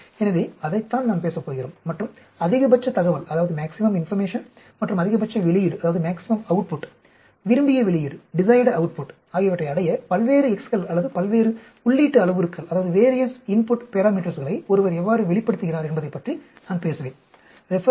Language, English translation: Tamil, So, that is what we are going to talk and I will be talking about how one varies the various x’s or various input parameters to achieve the maximum information as well as maximum output, desired output